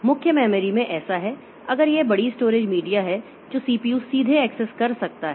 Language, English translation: Hindi, In the main memory, so this is a large storage media that the CPU can access directly